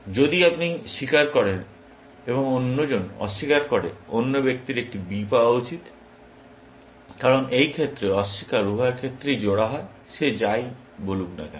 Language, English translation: Bengali, If you confess and the other deny, the other person should get a B, because in this case, deny is paired in both the cases, irrespective of whatever he says